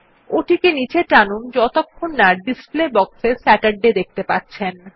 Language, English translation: Bengali, Drag it downwards till you see Saturday in the display box on the right